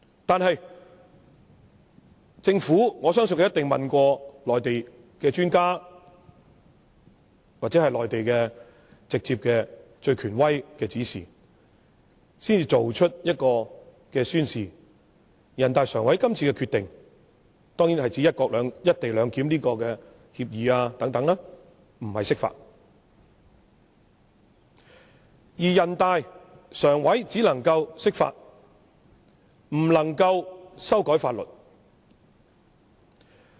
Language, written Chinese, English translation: Cantonese, 但是，我相信政府一定問過內地的專家或內地最權威的指示，才作出宣示，即人大常委會這次有關"一地兩檢"的協議、安排等決定，並非釋法；而人大常委會只能釋法，不能修改法律。, But I believe the Government must have consulted the Mainland experts or the highest authorities in the Mainland before making an announcement that the decision made by NPCSC on the co - location agreement and arrangement is not an interpretation of the law and that NPCSC can only interpret but not amend the law